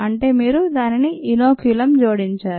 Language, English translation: Telugu, so you have added inoculum to it